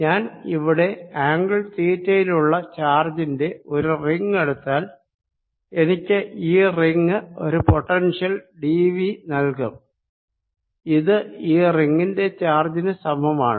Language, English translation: Malayalam, if i take a ring out here of charge at an angle theta, then i know this ring gives me a potential d, v which is equal to charge on this ring